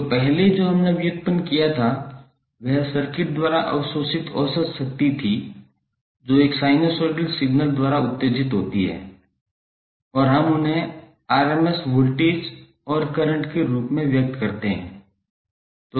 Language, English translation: Hindi, So earlier what we derive was the average power absorbed by the circuit which is excited by a sinusoidal signal and we express them in the form of voltage rms voltage and current